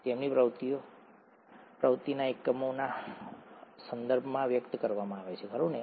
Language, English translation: Gujarati, Their activity is expressed in terms of units of activity, right